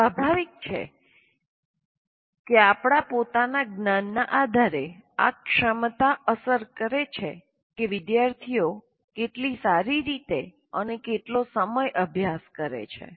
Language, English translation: Gujarati, Now, obviously based on this, based on our own metacognition, that ability affects how well and how long students study